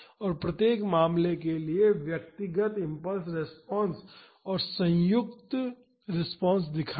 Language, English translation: Hindi, And, for each case show the response to individual impulses and the combined response